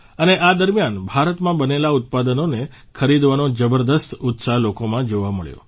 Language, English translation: Gujarati, And during this period, tremendous enthusiasm was seen among the people in buying products Made in India